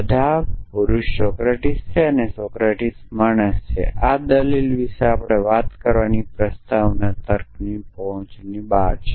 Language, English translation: Gujarati, All men are mortal Socrates in a man; Socrates is man this is beyond our reach to talk about this argument is beyond the reach of proposition logic